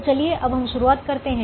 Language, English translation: Hindi, so let us start with this